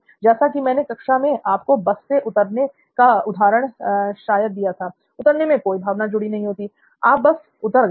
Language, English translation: Hindi, For me the example that I probably gave you in class is getting down from a bus, there is no emotion associated with getting down; you have got down, you have got down, right